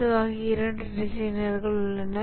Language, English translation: Tamil, There is typically a couple of designers